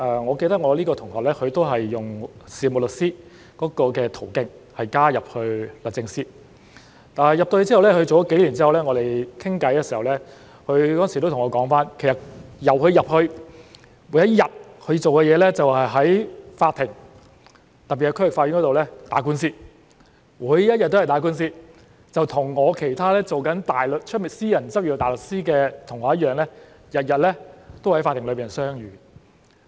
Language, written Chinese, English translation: Cantonese, 我記得當時這位同學是用事務律師的途徑加入律政司，但加入幾年之後，我們有次聊天的時候他對我說，他加入後，每一日他做的工作就是在法庭——特別是區域法院——打官司，每一日也在打官司，與其他在外面私人執業大律師的同學一樣，他們每日都在法庭相遇。, I remember that this classmate joined DoJ as a solicitor . But a few years later he told me during a conversation that since he joined DoJ his day - to - day work was to engage in lawsuits in court especially the District Court . He engaged in lawsuits every day just like other classmates who were barristers in private practice